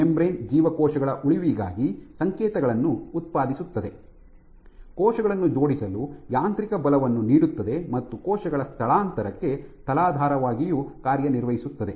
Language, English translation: Kannada, It generates signals for survival, it provides mechanical support for the attach cells, also serves as a substrate for cell migration